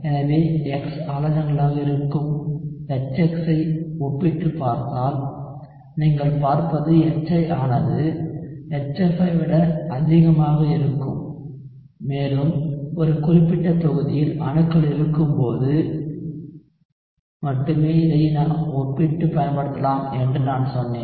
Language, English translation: Tamil, So, if you compare HX, where X are halides, what you would see is HI would be greater than HF and I told you that you can use this to compare only when you have atoms within a particular group